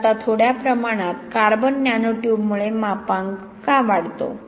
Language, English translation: Marathi, So now why is small amount of carbon nano tube increase the modulus